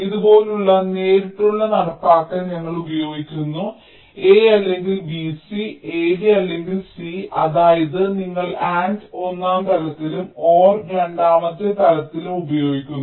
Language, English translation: Malayalam, we are using straight implementation like this: a or b, c, a, b or c, that is, you are using and in the first level or in the second level